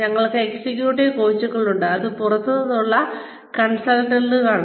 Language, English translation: Malayalam, We have executive coaches, which are outside consultants